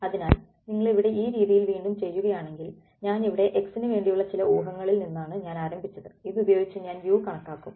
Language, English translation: Malayalam, So, if you go back over here in this method over here where I am I start with some guess for x then I calculate u using this right